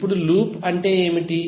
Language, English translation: Telugu, Now what is loop